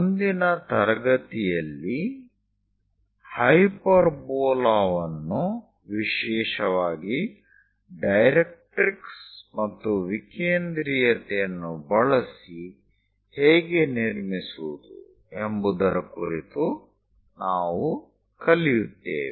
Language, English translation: Kannada, In the next class we will learn about how to construct hyperbola, especially using directrix and eccentricity